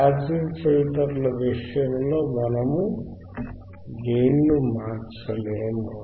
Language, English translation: Telugu, Iin case of passive filters, we cannot change the gain we cannot change the gain